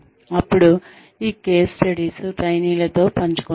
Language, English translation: Telugu, Then, these case studies are shared with the trainees